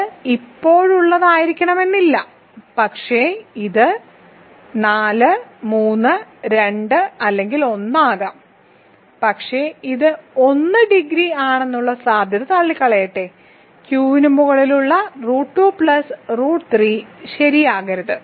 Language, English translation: Malayalam, It is not necessarily for as of now, but it can be 4 3 2 or 1, but let me just rule out the possibility is that it is 1 degree of root 2 plus root 3 over Q cannot be 1 ok